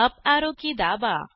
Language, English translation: Marathi, Press the uparrow key